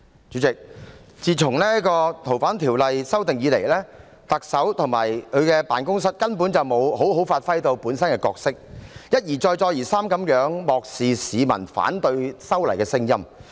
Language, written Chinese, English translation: Cantonese, 主席，自提出修訂《逃犯條例》後，特首及其辦公室根本沒有好好發揮本身的角色，一而再，再而三地漠視市民反對修例的聲音。, President after proposing amendments to the Fugitive Offenders Ordinance the Chief Executive and her office never played their roles properly . One time after another they ignored the peoples voices against the proposed legislative amendments